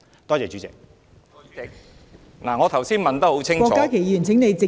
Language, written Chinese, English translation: Cantonese, 代理主席，我剛才問得很清楚......, Deputy President just now I have put my question very clearly